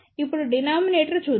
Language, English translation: Telugu, Let us see now the denominator